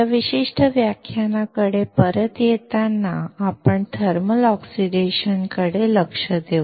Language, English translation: Marathi, Coming back to this particular lecture, we will look into thermal oxidation